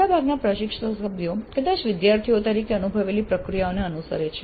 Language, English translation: Gujarati, Most of the faculty members probably follow the processes they experienced as students